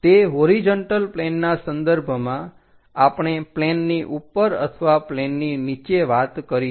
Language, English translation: Gujarati, With respect to that horizontal plane, we will talk about above the plane or below the plane